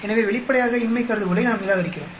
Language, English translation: Tamil, So obviously, we reject the null hypothesis